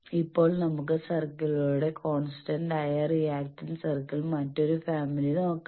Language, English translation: Malayalam, Now, let us see the other family of circles constant reactance circle